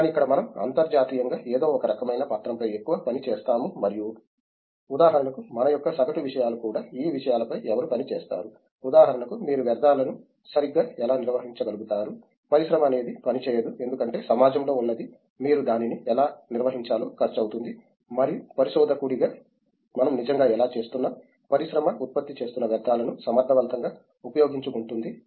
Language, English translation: Telugu, But in here we more work on kinds of document how internationally something has been done and for example, the mean things of we even work on something like who works on these stuff like, how do you effect duly managed the waste for example, that something is industry doesn’t work at all because something which is there the society is incurring cost in how do you manage it and as a researcher we are actually looking at how do we, an effectively used the waste that the industry is generating